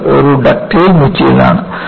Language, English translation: Malayalam, And, this is a ductile material